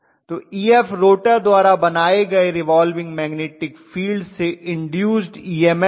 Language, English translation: Hindi, So Ef corresponds to the induced EMF corresponding to your revolving magnetic field created by the rotor